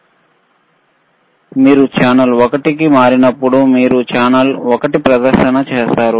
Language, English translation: Telugu, Now when you switch channel one, you will also see on the display, channel one